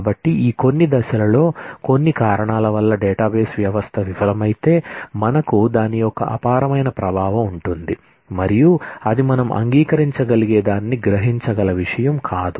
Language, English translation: Telugu, So, which means that if this database system fails, at some stage for some reason, then we have an enormous impact of that and that is not something that we can absorb that something that we can accept